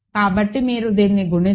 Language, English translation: Telugu, So, if you multiply this